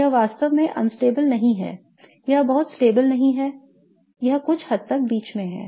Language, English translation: Hindi, So, it is not really unstable, it is not extremely stable, it is somewhat in between right